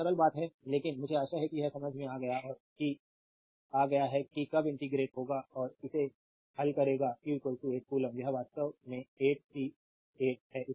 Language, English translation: Hindi, This simple thing, but I hope you have understood this right when you will integrate and solve it you will get q is equal to 8 coulomb this is actually 8 c 8 coulomb right